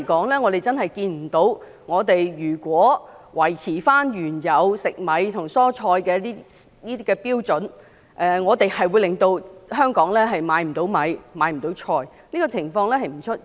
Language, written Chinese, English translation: Cantonese, 但目前來說，如果維持原有食米和蔬菜的有關標準，我們真的看不到會令香港沒有米和蔬菜的供應，這種情況並不會出現。, But for the time being we really do not see that maintaining the original standard for rice and vegetables will result in a cessation of supply of rice and vegetables to Hong Kong . This is not going to happen